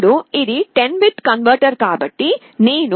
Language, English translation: Telugu, Now, since it is a 10 bit converter, if I connect a 3